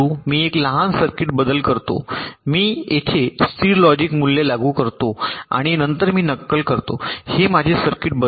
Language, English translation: Marathi, i make a small circuit modification, i apply a constant logic value here and then i simulate